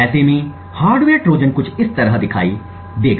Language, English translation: Hindi, The hardware Trojan in such a scenario would look something like this